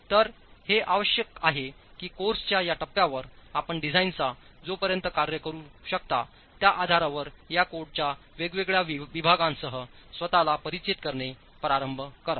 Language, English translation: Marathi, So it is essential that at this stage of the course, you start familiarizing yourself with different segments of these codes to have the basis to operate as far as the design is concerned